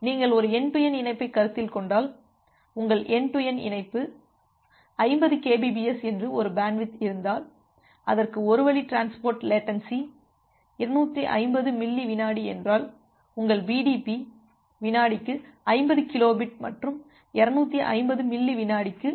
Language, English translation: Tamil, So, if your end to end link has a bandwidth of say 50 Kbps and it has one way transit delay is 250 millisecond, then your BDP is 50 kilo bit per second into 250 millisecond comes to be something similar to 12